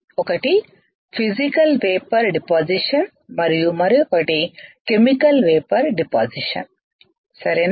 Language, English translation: Telugu, Physical Vapor Deposition and Chemical Vapor Deposition